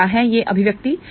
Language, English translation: Hindi, So, what is this expression